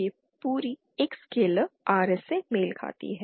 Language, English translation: Hindi, This whole thing is a scalar corresponds to Rs